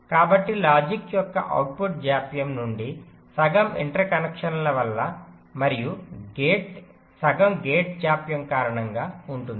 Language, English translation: Telugu, so half of the input to output delay of the logic will be due to the interconnections and half due to the gate delay